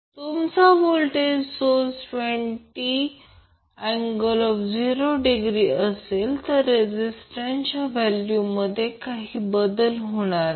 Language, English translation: Marathi, So your voltage source will be 20 angles, 0 there will be no change in registers